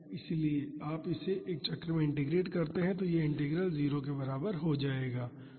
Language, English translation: Hindi, So, if you integrate this over a cycle this integral will become equal to 0